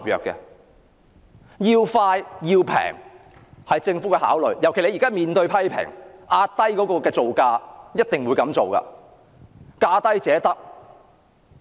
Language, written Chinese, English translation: Cantonese, 政府的考慮因素是要快及便宜，尤其是現時面對批評，所以一定要壓低造價，價低者得。, The considerations of the Government are speed and low cost especially when it is now subject to criticisms it therefore has to keep the cost down and award the contracts to the lowest bidder